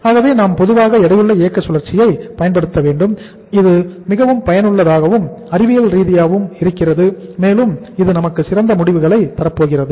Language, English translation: Tamil, So we should normally use the weighted operating cycle which is more useful, more scientific, and it is going to give us the better results